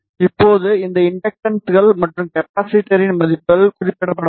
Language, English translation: Tamil, Now, the values of this inductors and capacitor have to be specified